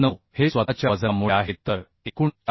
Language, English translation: Marathi, 9 is the due to self weight so total is coming 465